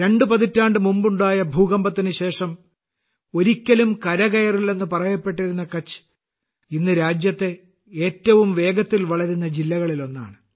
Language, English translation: Malayalam, Kutch, was once termed as never to be able to recover after the devastating earthquake two decades ago… Today, the same district is one of the fastest growing districts of the country